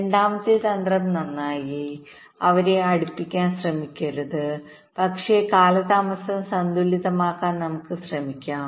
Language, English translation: Malayalam, the second strategy is that, well, let us not not try to bring them close together, but let us try to balance the delays